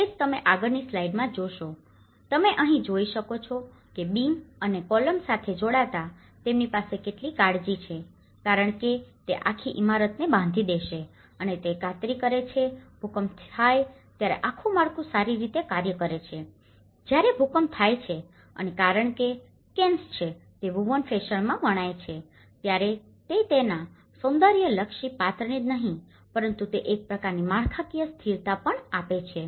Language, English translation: Gujarati, That is where you see in the next slide, you can see that here that the joining of the beams and the columns, how carefully they have them because that is where, it is going to tie the whole building and it is going to make sure that the whole structure acts in a better way in terms of the earthquake, when earthquake happens and because when the canes are woven in a fashion it will also not only the aesthetic character of it but it also gives a kind of structural stability